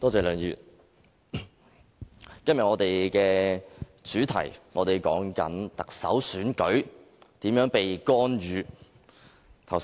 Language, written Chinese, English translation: Cantonese, 梁議員，我們今天討論的重點是特首選舉如何被干預。, Mr LEUNG our discussion today should focus on how this Chief Executive Election has been interfered